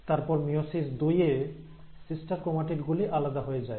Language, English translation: Bengali, And then, in meiosis two, you will find that there are sister chromatids which will get separated